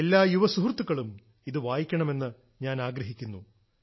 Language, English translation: Malayalam, I would want that all our young friends must read this